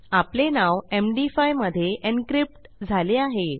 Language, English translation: Marathi, And this is encrypted to MD5 encryption